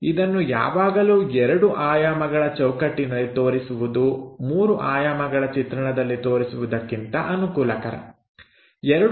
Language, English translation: Kannada, It is always convenient to show it in this 2 dimensional framework instead of showing this 3 D picture